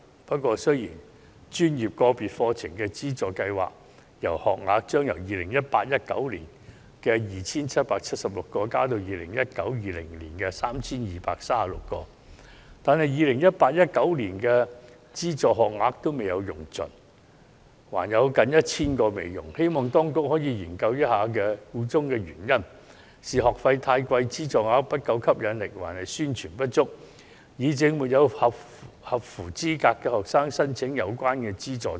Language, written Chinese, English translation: Cantonese, 不過，雖然專業界別課程資助計劃學額將由 2018-2019 學年的 2,776 個增至 2019-2020 學年的 3,236 個，但 2018-2019 學年的資助學額尚未用盡，還有近 1,000 個未使用，希望當局可以研究一下箇中原因：是學費太貴，資助額不夠吸引力，還是宣傳不足，以致沒有符合資格的學生申請有關資助？, While the number of subsidized places provided by the Study Subsidy Scheme for Designated ProfessionsSectors will be increased from 2 776 in the 2018 - 2019 academic year to 3 236 by the academic year 2019 - 2020 that will still leave almost 1 000 subsidized places for the academic year 2018 - 2019 unused . I hope that the Administration can look into the reason behind . Are the tuition fees too expensive?